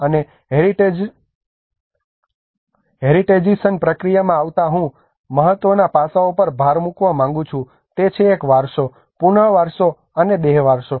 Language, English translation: Gujarati, And coming to the Heritagisation process I would like to emphasise on 3 important aspects one is a heritagisation, re heritagisation and de heritagisation